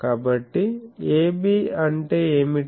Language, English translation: Telugu, And so, what is AB